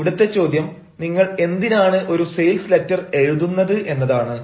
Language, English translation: Malayalam, now the question is: why should you write a sales letter